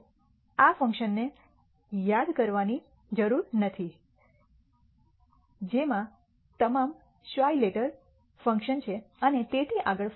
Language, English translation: Gujarati, We do not need to remember the form of this function it has them gamma function and so, on